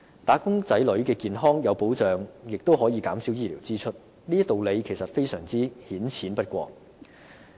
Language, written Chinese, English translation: Cantonese, "打工仔女"的健康有保障亦可以減少醫療支出，這道理顯淺不過。, When the health of wage earners is protected their medical expenses can be reduced . The benefit is just this simple